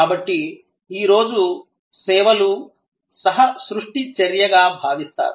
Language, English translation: Telugu, So, today services are thought of as an act of co creation